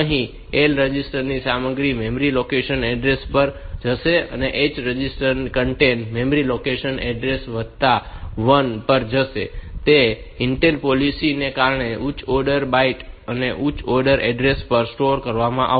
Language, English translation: Gujarati, Here, the same thing that the L register content will go to the memory location address and H registers content will go to the memory location address plus 1, due to that Intels policy that the higher order byte will be stored at higher order address